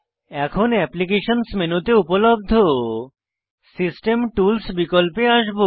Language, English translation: Bengali, Now, we will come to the System Tools option available under Applications menu